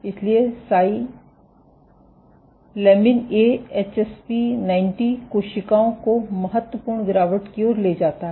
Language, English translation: Hindi, So, si lamin A lead to significant dropping HSP90 cells